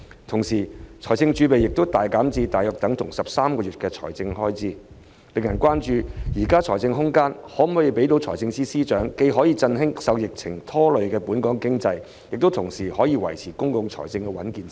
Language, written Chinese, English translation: Cantonese, 同時，財政儲備亦大減至相當於13個月的財政開支，令人關注現時的財政空間，能否讓司長既振興受疫情拖累的本港經濟，同時維持公共財政的穩健性。, Meanwhile the fiscal reserves have been greatly reduced to the equivalent of 13 months of government expenditure arousing concern over the fiscal space available for FS to revive the pandemic - stricken economy while ensuring the health of public finances